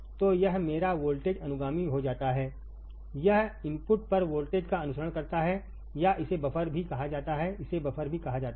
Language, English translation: Hindi, So, this becomes my voltage follower it follows the voltage at the input or it is also called buffer right it is also called buffer